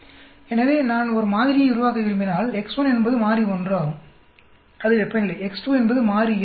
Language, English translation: Tamil, So, if I want to develop a model, x1 is variable 1 that is temperature; x2 is variable 2 pH